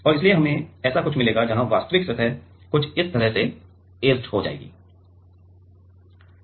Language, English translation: Hindi, And so, we will get something like this where the actual surfaces something like this right it get etched